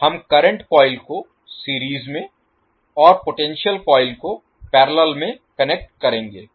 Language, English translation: Hindi, Will connect the current coil in series and potential coil in parallel